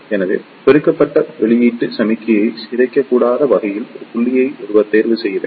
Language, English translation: Tamil, So, one should choose a point in such a way that the amplified output signal should not be destroyed it